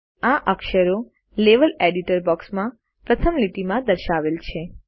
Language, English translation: Gujarati, Notice, that these characters are displayed in the first line of the Level Editor box